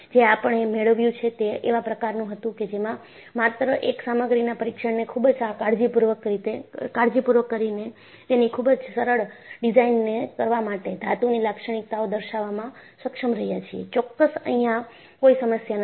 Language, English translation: Gujarati, So, what we have achieved was, by just performing one material test very carefully, you have been able to characterize the metal for doing simple designs; absolutely, no problem